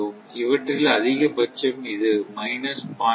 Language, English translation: Tamil, So, this is minus 0